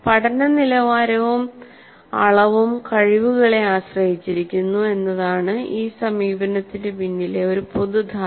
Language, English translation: Malayalam, And a common assumption behind this approach is that learning quality and quantity depend on talent or ability